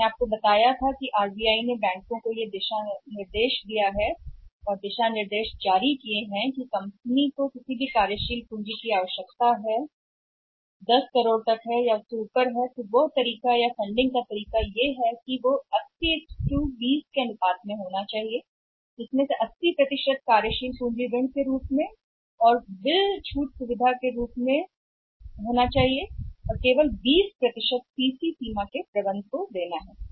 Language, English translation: Hindi, I told you that RBI has instructed the banks or issued the guidelines to the banks that any working capital requirement of the company which is of up to 10 crore and above then the way or the mode of funding that requirement should be in the ratio of 18 20 with 80% should be in the form of working capital loan + bill discounting facility and only 20% has to give manager CC limit